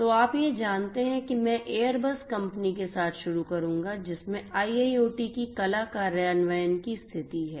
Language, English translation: Hindi, So, you know I will start with the Airbus company which has state of the art you know implementation of IIoT